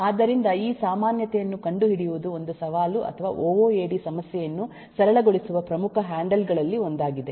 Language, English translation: Kannada, so finding out this commonality is a mee, is one of the uh challenge or one of the major handles through which ooad can simplify problem